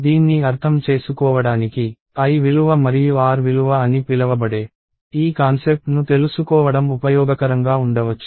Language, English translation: Telugu, So, to understand this, it may be useful to know this concept of what is called l value and r value